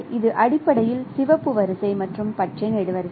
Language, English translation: Tamil, So it is basically red row and green column